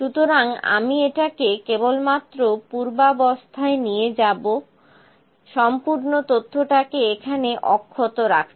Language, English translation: Bengali, So, I will just undo it to keep the whole data intact here